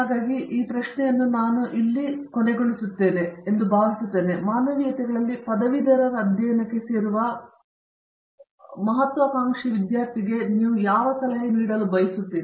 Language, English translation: Kannada, So, I think we will close with this question here, which, what advice would you give to an aspiring student who would like to join graduate studies in humanities